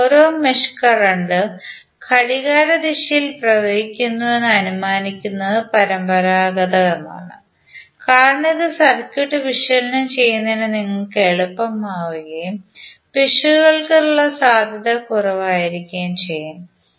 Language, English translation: Malayalam, But it is conventional to assume that each mesh current flows clockwise because this will be easier for you to analyse the circuit and there would be less chances of errors